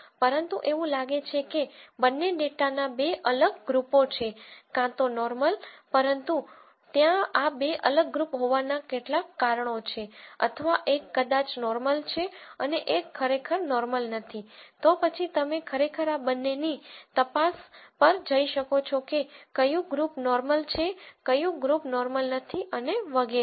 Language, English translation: Gujarati, But since it seems like there are two distinct groups of data either both or normal but there is some reason why there is this two distinct group or maybe one is normal and one is not really normal, then you can actually go on probe of these two groups which is normal which is not normal and so on